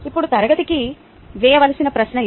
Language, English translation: Telugu, now, this is the question to pose to class